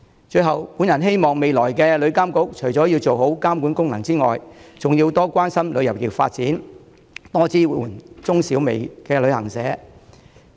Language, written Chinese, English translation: Cantonese, 最後，我希望未來的旅監局除了要做好監管功能之外，還要多關心旅遊業發展，多支援中小微旅行社。, Lastly I hope the future TIA will show more concern about the development of the travel industry and give more support to micro small and medium travel agents in addition to performing its regulatory functions